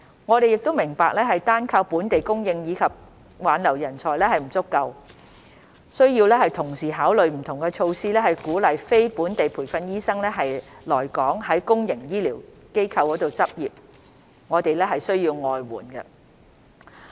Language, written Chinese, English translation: Cantonese, 我們明白單靠本地供應及挽留人才並不足夠，需要同時考慮不同措施以鼓勵非本地培訓醫生來港在公營醫療機構執業，我們需要外援。, We understand that it is not enough to solely rely on local supply and retention of talents and that we have to also consider different measures to encourage non - locally trained doctors to come to practise in Hong Kongs public healthcare sector . We need outside help